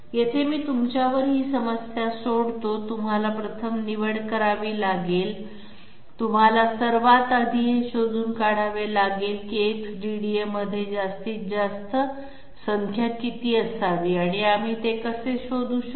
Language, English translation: Marathi, Here I will leave the problem to you, you have to choose first you have to find out 1st of all what should be the maximum number which has to be accommodated inside the X DDA, how can we find that out